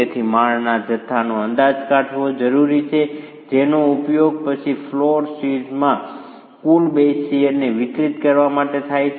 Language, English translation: Gujarati, So, it is essential to estimate the story masses which is then used to distribute the total base shear to the floor shears